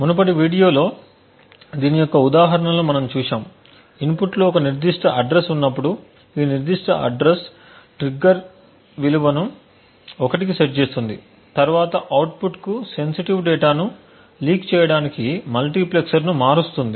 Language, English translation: Telugu, Now we have seen examples of this in the previous videos we had seen how when a specific address is present in the input this specific address would then set a trigger value to 1 which would then switch a multiplexer to leak sensitive data to the output